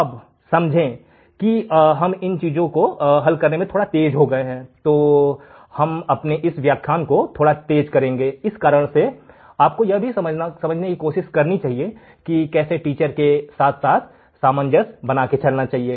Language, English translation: Hindi, Now, understand that we are little bit faster in solving these things, I am speeding up my lectures a little bit, the reason is that you have to also try to understand how to be in the same frequency as the teacher